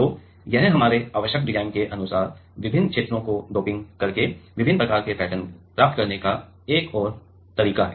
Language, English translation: Hindi, So, this is another way of getting different kind of patterns by doping different regions according to our required design